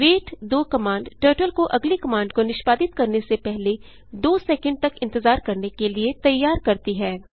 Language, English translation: Hindi, Wait 2 command makes Turtle to wait for 2 seconds before executing next command